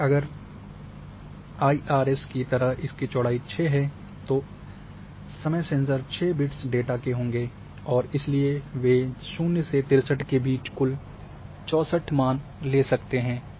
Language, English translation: Hindi, And if it is 6 width data like IRS, time sensors were there were 6 bits data, so the value they barring between 0 to 63 total number 64